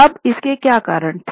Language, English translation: Hindi, Now, what were the reasons